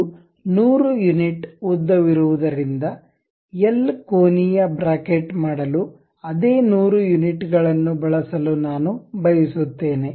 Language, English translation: Kannada, So, because it is 100 unit in length; so I would like to use same 100 units to make it like a L angular bracket